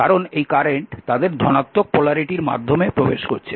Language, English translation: Bengali, Whenever current entering through the positive polarity